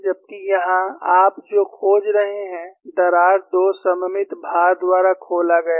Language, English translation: Hindi, Whereas, here, what you find is, the crack is opened by two symmetrical loads